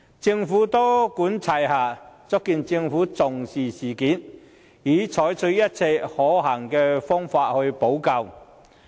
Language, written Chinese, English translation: Cantonese, 政府多管齊下，足見其重視事件，並已採取一切可行的方法補救。, The Governments multipronged measures have demonstrated the importance it attaches to the incident and it has tried every possible means to rectify the situation